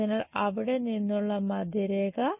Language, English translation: Malayalam, So, middle line from there